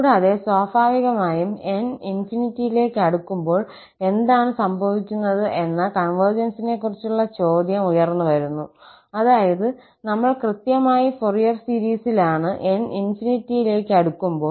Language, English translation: Malayalam, And, naturally the question arises about the convergence that what is happening when n approaches to infinity that means, we are exactly at the Fourier series when n approaches to infinity